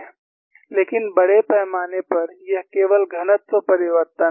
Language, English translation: Hindi, And by and large, it is only density change